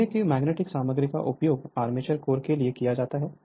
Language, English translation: Hindi, Iron being the magnetic material is used for armature core